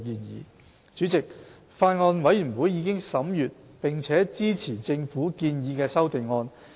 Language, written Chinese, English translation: Cantonese, 代理主席，法案委員會已審閱並支持政府建議的修正案。, Deputy Chairman the Bills Committee has considered and supports the amendments proposed by the Government